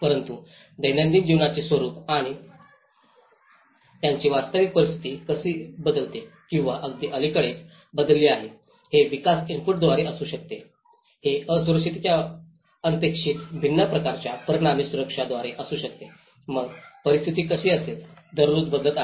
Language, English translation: Marathi, But the nature of the daily life and how their actual situation changes or which may have changed very recently, it could be through the development input, it could be by the vulnerability as a result of the unexpected different forms of vulnerability, so how a situation is changing every day